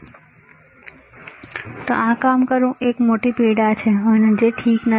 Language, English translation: Gujarati, Now, doing this thing is a big pain and which is not ok